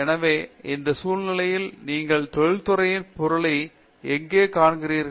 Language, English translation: Tamil, So, in this scenario, where do you see the industry fit in